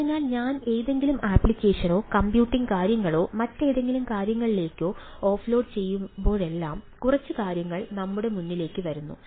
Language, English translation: Malayalam, so whenever i offload any, any application or any computing things to some other things, a couple of things come into play